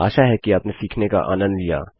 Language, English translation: Hindi, Hope you enjoyed learning them